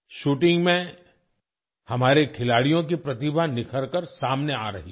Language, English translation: Hindi, In shooting, the talent of our players is coming to the fore